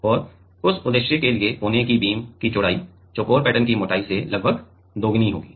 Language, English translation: Hindi, And for that purpose; the width of the corner beam must be about twice the thickness of the square pattern